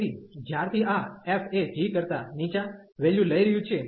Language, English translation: Gujarati, So, since this f is taking the lower values than the g